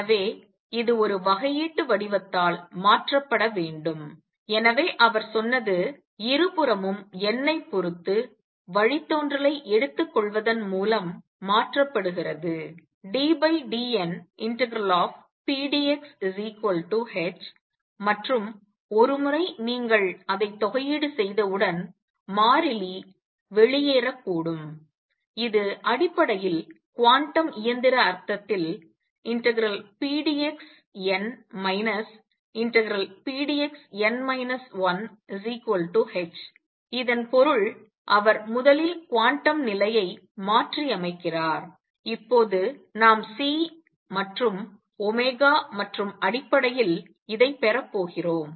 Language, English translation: Tamil, So, it should be replaced by a differential form and therefore, what he said is replaces by taking derivative with respect to n on both sides pdx equals h and once you integrate it that constant may come out which would basically in quantum mechanical sense this would mean that integral pdx for n minus integral pdx for n minus 1 is equal to h, this is what he first replaces the quantum condition by and now we are going to derive this in terms of C and omega